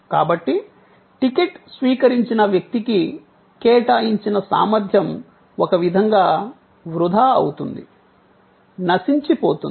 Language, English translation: Telugu, So, capacity that was allotted to the person holding the ticket is in a way wasted, perished, gone